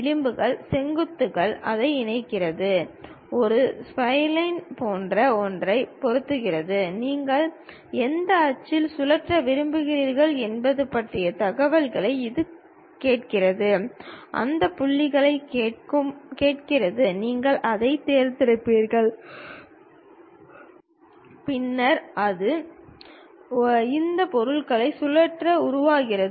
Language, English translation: Tamil, Takes that edges, vertices, connect it, fit something like a spline; then it asks you information about which axis you would like to really rotate, ask you for those points, you pick that; then it revolves and construct these objects